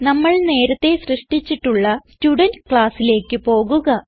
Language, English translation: Malayalam, Let us go back to the Student class we had already created